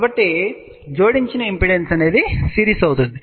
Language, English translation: Telugu, So, impedance addition will be series